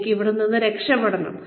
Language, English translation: Malayalam, I need to get away, from here